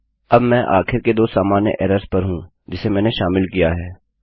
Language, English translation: Hindi, Right now I am onto the last two common errors that I have included